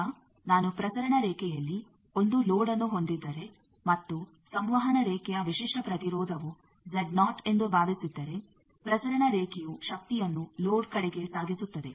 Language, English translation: Kannada, Now, if I have a load in a transmission line and suppose the characteristic is impedance of the transmission line is Z naught then if the transmission line was carrying power towards the load